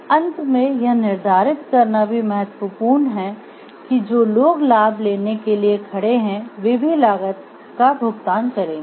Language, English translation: Hindi, Finally, it is also important to determine whether those who stand up to reap the benefits are also those will pay the cost